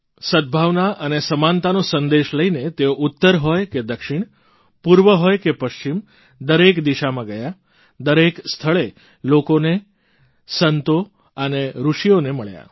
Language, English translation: Gujarati, Carrying the message of harmony and equality, he travelled north, south, east and west, meeting people, saints and sages